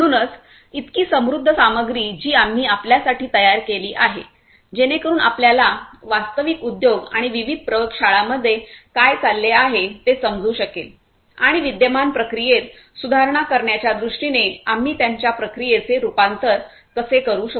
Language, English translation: Marathi, So, so many rich content that we have prepared for you just so that you can understand better what goes on in the real industries and the different labs and how we could transform their processes to improve their existing processes towards betterment